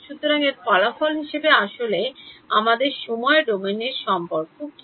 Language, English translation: Bengali, So, as a result of this what is actually our time domain relation then